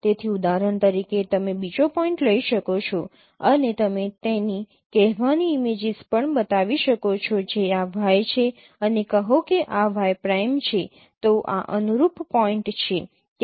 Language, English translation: Gujarati, So you can take another points for example and also you can form its say images, say this is Y and say this is Y and say this is Y prime